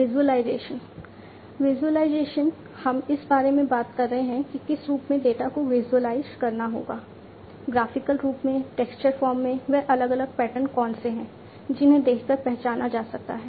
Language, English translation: Hindi, Visualization: visualization we are talking about in what form the data will have to be visualized, in graphical form, in textual form, what are the different patterns that can be visually identified